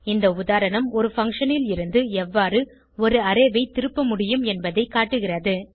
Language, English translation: Tamil, This illustration demonstrates how we can return an array from a function